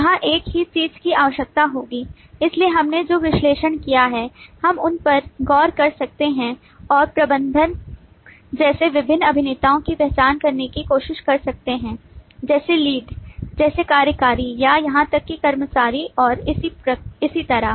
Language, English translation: Hindi, so all that we have analyzed, we can look over them and try to identify different actors, like manager, like lead, like executive or even like employee and so on